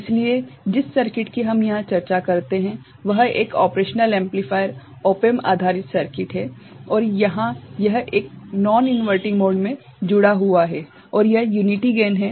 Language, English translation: Hindi, So, the circuit that we discuss here is an operational amplifier op amp based circuit and here it is a connected in a non inverting mode right and this is a unity gain right